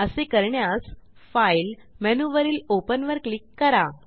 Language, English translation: Marathi, To do this, I will go to the File menu, click on Open